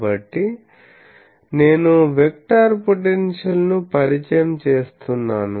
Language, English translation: Telugu, So, I introduce the vector potential